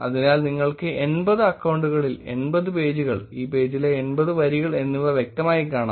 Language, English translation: Malayalam, So you can clearly see there about 80 pages in 80 accounts, 80 rows in this page